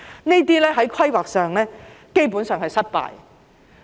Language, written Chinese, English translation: Cantonese, 在規劃上，這些基本上是失敗的。, These are basically failures in terms of planning